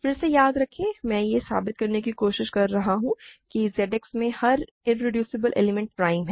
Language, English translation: Hindi, Remember again I am trying to prove that every irreducible element in Z X is prime